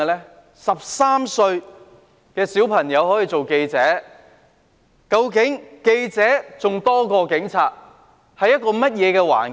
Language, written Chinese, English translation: Cantonese, 一名13歲小朋友可以當記者，記者比警察還要多，當時是怎樣的環境？, A child aged 13 could be a journalist . Journalists could outnumber the Police . How was the situation at that time?